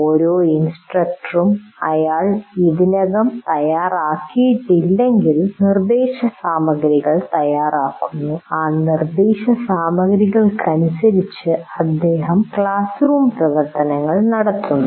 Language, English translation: Malayalam, Now, every instructor prepares instruction material if he is already prepared, he will be conducting the classroom activities according to that instruction material